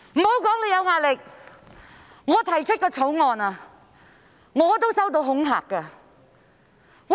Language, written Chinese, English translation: Cantonese, 莫說你有壓力，甚至我提出法案也收到恐嚇。, Not only are you under pressure but I was also threatened when I proposed a bill